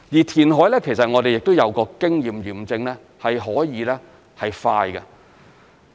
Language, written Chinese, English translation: Cantonese, 填海方面，我們亦有經驗驗證可以是快的。, Our experience has proven that reclamation can also be expedient